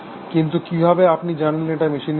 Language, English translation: Bengali, But how do you know, it is not in the machine